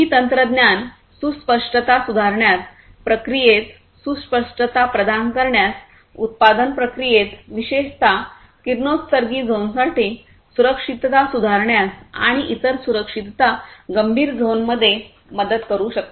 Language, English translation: Marathi, These technologies can also help in improving the precision, providing precision in the processes, in the production processes, providing safety, improving the safety especially for radioactive zones, and different other you know safety critical zones